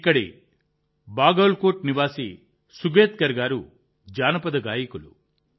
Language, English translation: Telugu, Sugatkar ji, resident of Bagalkot here, is a folk singer